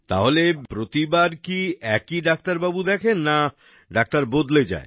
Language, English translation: Bengali, So every time is it the same doctor that sees you or the doctors keep changing